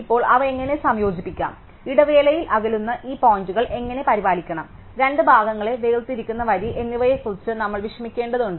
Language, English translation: Malayalam, Now, we have to worry about how to combine them, how to take care of these points whose distance pans the interval, the line separating the two halves